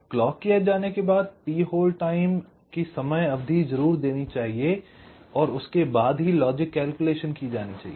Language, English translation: Hindi, so after the edge comes, a minimum amount of t hold time must be provided and only after that the logic calculations